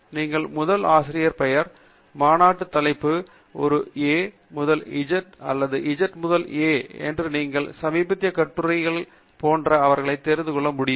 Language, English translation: Tamil, You can also pick them up by the First Author Name, Conference Title, A to Z or Z to A, and you know, recently added articles etcetera